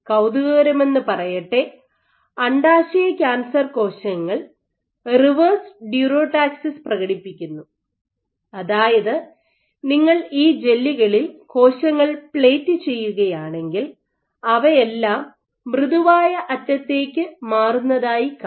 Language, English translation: Malayalam, Intriguingly very recently it was observed that ovarian cancer cells exhibit reverse durotaxis which means that if you plate cells on these gels you would find all of them tend to migrate towards the softened